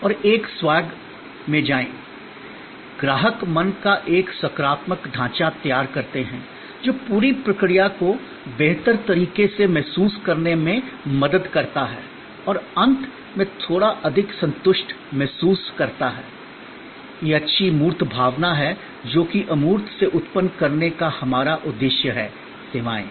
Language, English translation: Hindi, And go to a swage, the customer create a positive frame of mind, which help getting a better feel of the whole process and at the end feel in a little bit more satisfied, that tangible good feeling which is our aim to generate out of intangible services